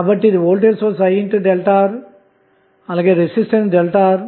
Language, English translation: Telugu, So, this is a voltage source I into delta R and resistance delta R